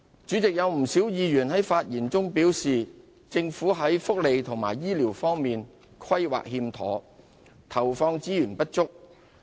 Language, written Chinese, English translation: Cantonese, 主席，有不少委員在發言中表示，政府在福利及醫療方面的規劃有欠妥善，以及投放資源不足。, Chairman quite a number of Members have remarked in their speeches that the Government has failed to plan properly and allocate sufficient resources for welfare and health care